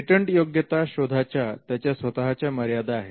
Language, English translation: Marathi, The patentability search has it is own limitations